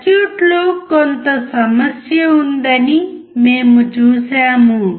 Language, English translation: Telugu, We see that there is some problem with the circuit